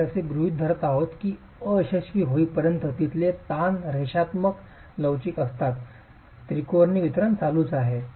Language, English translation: Marathi, We are assuming that till failure the stresses there are linear elastic